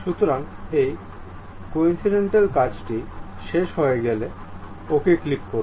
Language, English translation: Bengali, So, once this coincident is done, click ok